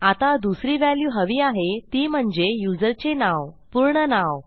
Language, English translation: Marathi, Now, the other values we need to get are the name of the user